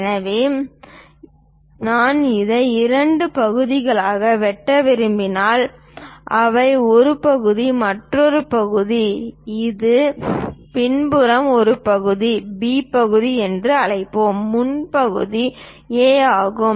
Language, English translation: Tamil, So, if I want to really cut it into two parts separate them out this is one part and the other part is this back one let us call B part, the front one is A